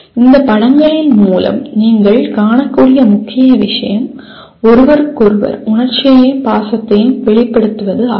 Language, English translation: Tamil, The main thing that you can see through these pictures is expressing and demonstrating emotion and affection towards each other